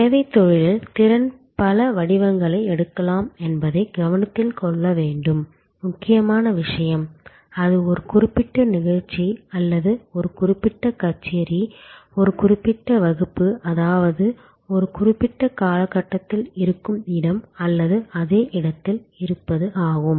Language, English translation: Tamil, Important point to note that the capacity can take several forms in the service business, it could be in terms of time that means, a particular show or a particular concert, a particular class, so which is existing in a particular time frame at a particular space or in the same space